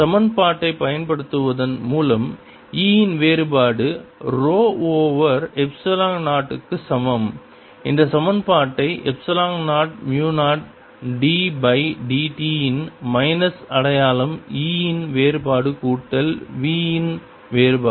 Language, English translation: Tamil, by using the equation that divergence of e is equal to rho over epsilon zero, we can write this equation as epsilon zero, mu zero d by d t of divergence of e, with a minus sign plus divergence of v